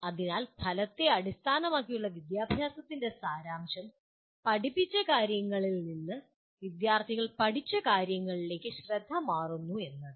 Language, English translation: Malayalam, So the essence of outcome based education is, the focus shifts from the material that is taught to what the students have learned